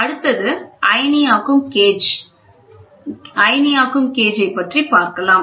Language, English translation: Tamil, Next is ionization gauge